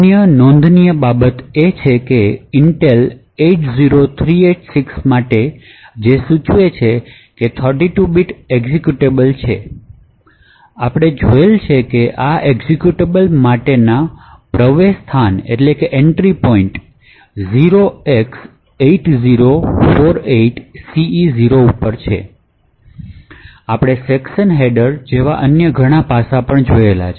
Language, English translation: Gujarati, Other things to actually note is that for the Intel 80386 which indicates that it is a 32 bit executable, so as we have seen the entry point for this executable is at the location 0x8048ce0 and we have also seen the various other aspects such as the section headers and so on